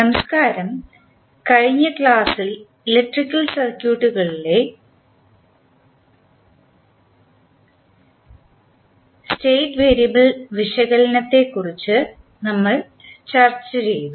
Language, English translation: Malayalam, Namaskrar, since last class we discuss about the State variable analysis in the electrical circuits